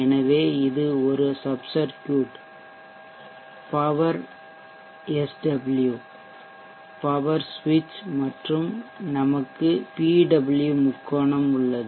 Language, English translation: Tamil, So this is like before a sub circuit power SW the power switch and we have the PWM triangle